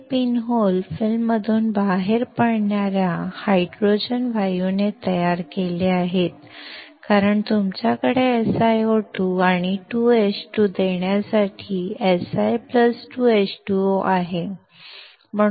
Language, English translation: Marathi, These pin holes are created by the hydrogen gas coming out of the film because, you have Si + 2H2O to give SiO2 and 2H2